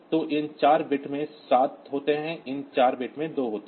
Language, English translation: Hindi, So, this four bits contain seven these four bits contain two